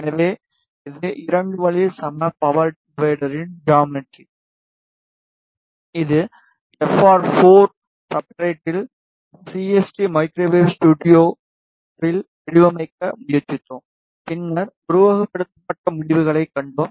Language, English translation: Tamil, So, this is the geometry of 2 way equal power divider, this we tried to design in CST microwave studio on FR4 substrate and then we saw the simulated results